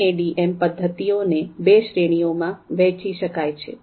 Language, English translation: Gujarati, Now, MADM methods they can be further divided into two categories